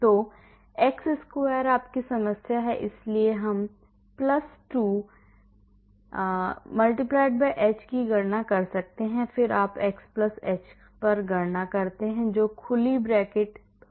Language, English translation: Hindi, So, x square is your problem, so we can calculate + 2*h, then you calculate at x+h that is open bracket x+